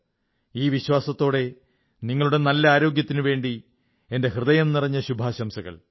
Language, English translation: Malayalam, With this assurance, my best wishes for your good health